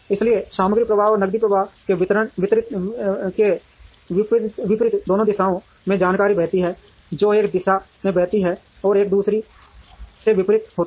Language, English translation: Hindi, So, information flows in both directions, unlike material flow and cash flow, which flow in one direction and opposite to each other